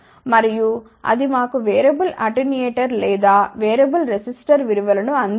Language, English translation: Telugu, And, that will not provide us a variable attenuator or variable resistor value